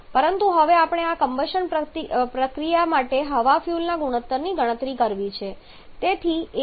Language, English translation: Gujarati, But now we have to calculate the air fuel ratio for this combustion process